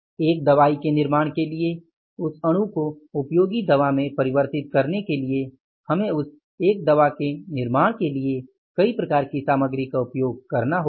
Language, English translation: Hindi, For manufacturing one drug, converting that molecule into the usable drug, we have to use the multiple type of the materials for manufacturing the one drug